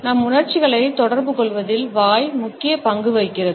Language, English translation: Tamil, Mouth plays a major role in communication of our emotions